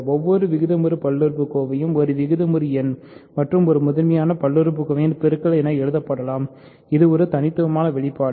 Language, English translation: Tamil, Every rational polynomial can be written as a product of a rational number and a primitive polynomial and it is a unique expression